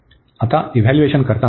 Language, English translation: Marathi, Now, coming to the evaluation